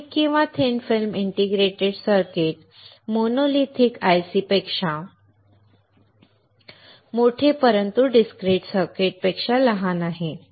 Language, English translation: Marathi, So, thin and thick film integrated circuits larger than monolithic ICs but smaller than discrete circuits